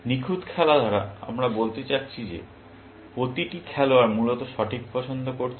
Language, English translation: Bengali, By perfect play, we mean that each player is making the correct choice, essentially